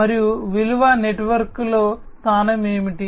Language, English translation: Telugu, And what is the position in the value network